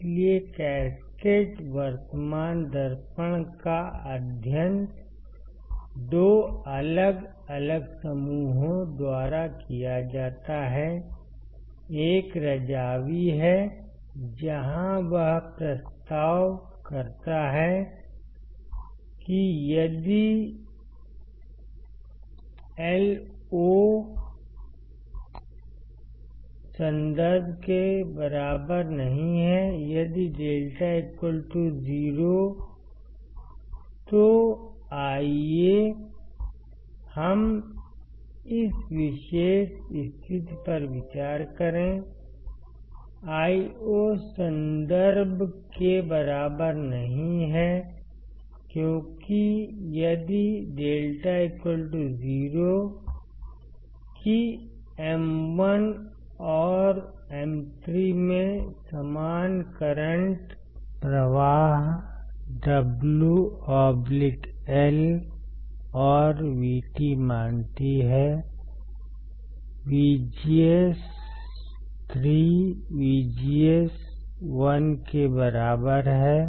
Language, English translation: Hindi, So, cascaded current mirror were studied by 2 different groups, one is Razavi where he proposes that, if Io is not equals to I reference if lambda equals to 0, let us consider this particular condition Io is not equals to I reference, because if lambda equals to 0, that is same current flows in M 1 and M 3, same current flows in M 1 and M 3, assuming W by L and V T are same VGS 3, equals to VGS 1 correct, what it says